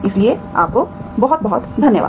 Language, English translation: Hindi, So thank you very much